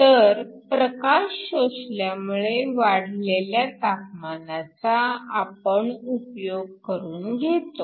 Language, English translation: Marathi, So, you sense a temperature raise when light is absorbed